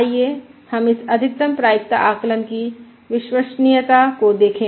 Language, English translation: Hindi, Let us look at the reliability of this Maximum Likelihood Estimate